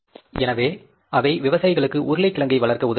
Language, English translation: Tamil, So, they help the farmers to grow the potatoes